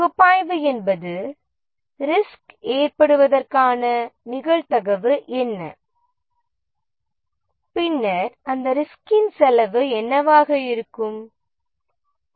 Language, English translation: Tamil, The analysis is in the form of what is the probability of the risk becoming true and what will be the cost implication of that risk